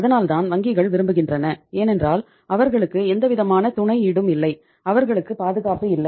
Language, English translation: Tamil, That is why banks want because they do not have any collateral, they do not have any security